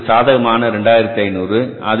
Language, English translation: Tamil, That is why 2,500 rupees